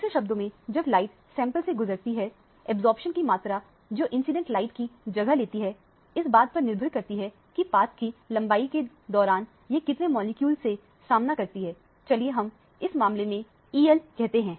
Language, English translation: Hindi, In other words when the light is passing through the sample, the amount of absorption that takes place of the incident light would depend upon how many molecules it encounters during the path length let us say l in the case